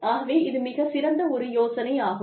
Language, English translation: Tamil, So, it is a very good idea